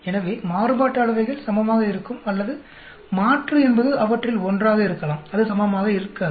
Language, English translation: Tamil, So, the variances are equal or the alternative could be one of them are not equal